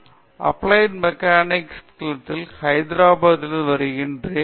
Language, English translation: Tamil, I am from Applied Mechanics Department, I am from Hyderabad